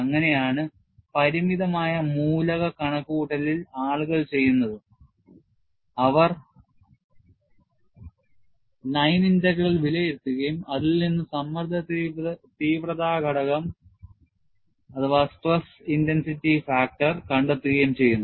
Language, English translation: Malayalam, That is how, in finite element computation, what people do is, they evaluate the line integral and from that, find out the stress intensity factor